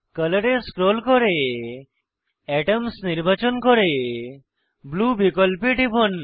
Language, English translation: Bengali, Scroll down to Color select Atoms and click on Blue option